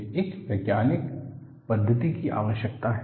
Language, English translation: Hindi, I need to have a scientific methodology